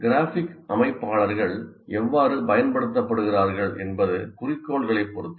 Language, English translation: Tamil, So how graphic organizers are used depends on the objective